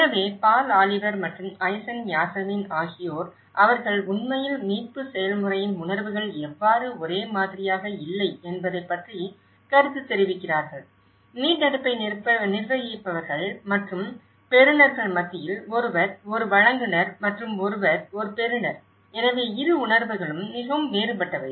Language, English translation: Tamil, So, that is where Paul Oliver and Aysan Yasemin, they actually work commented on how the perceptions of the recovery process they are not the same, among those who are administering the recovery and those who are the recipients so, one is a provider and one is a taker you know, so, that both the perceptions are very different